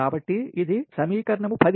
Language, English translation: Telugu, so this is equation ten